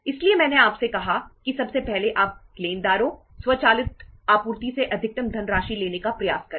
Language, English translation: Hindi, So I told you that first of all you try to have maximum funds from the creditors, automatic supplies